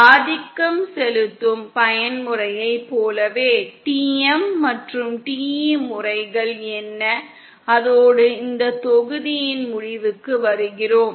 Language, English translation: Tamil, Like what is dominant mode, what are the TM and TE modes and, so with that we come to an end of this module